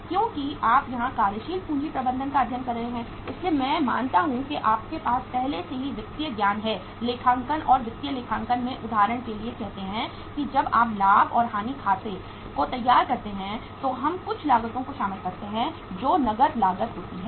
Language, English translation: Hindi, Because you are studying here the working capital management so I assume that you already have the knowledge of financial accounting and in the financial accounting say for example when you prepare the profit and loss account there we include certain cost means which are cash cost